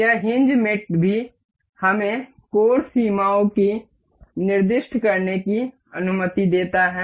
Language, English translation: Hindi, This hinge mate also allows us to specify angle limits